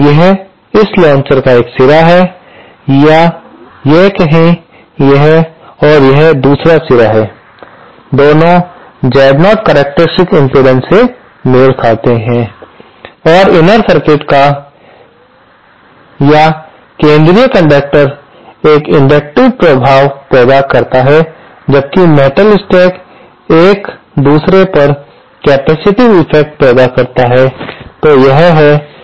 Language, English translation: Hindi, This is one end of this launcher, say this and and this is the other end, both are matched to Z0 characteristic impedance and the the inner circuit or the central conductor provides an inductive effect whereas the metal stack one over another produces a capacitive effect